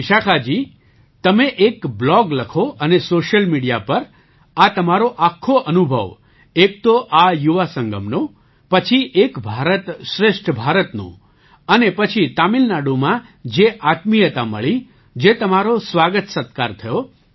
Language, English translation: Gujarati, So Vishakha ji, do write a blog and share this experience on social media, firstly, of this Yuva Sangam, then of 'Ek BharatShreshth Bharat' and then the warmth you felt in Tamil Nadu, and the welcome and hospitality that you received